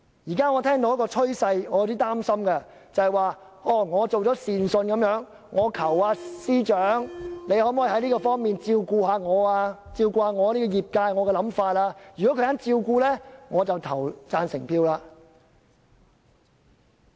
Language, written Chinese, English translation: Cantonese, 現在我看到一個趨勢，令我有點擔心，便是我們好像一個善信，我們求司長在某方面照顧我們業界和我們的想法，如果他肯，我們便投贊成票。, I see a worrying trend which is we are like worshippers pleading with the Financial Secretary to take care of our sector and take on board our views; and if he consents we will vote to support the Budget